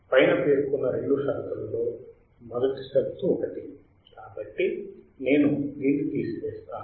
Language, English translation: Telugu, The above two conditions which are conditions condition one, so let me remove this